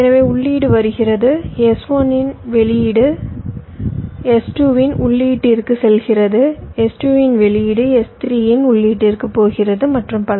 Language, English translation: Tamil, so the input is coming, the output of s one is going to the input of s two, output of s two is going to input of s three, and so on